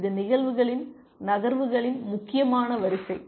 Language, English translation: Tamil, It is an important sequence of events moves